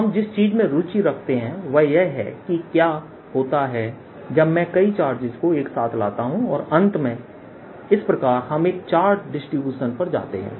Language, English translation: Hindi, what we are interested in now is what happens when i bring in assembly of charges, many, many charges, and finally go to a charge distribution so that it is described by charge density row